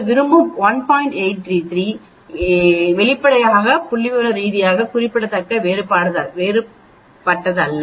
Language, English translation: Tamil, So obviously it is not statistically significant different